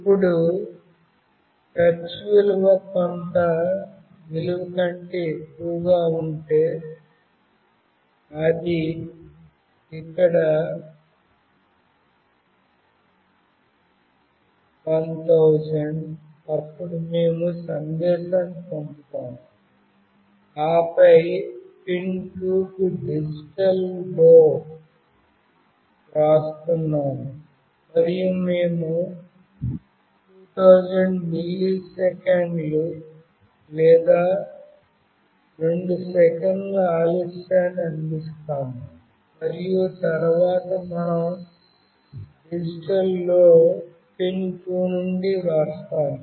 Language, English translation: Telugu, Now if the touch value is greater than some value, that is 1000 here, then we send the message, and then we are writing digital LOW to pin 2, and we provide a delay of 2000 milliseconds or 2 seconds and then again we digital write pin 2 to LOW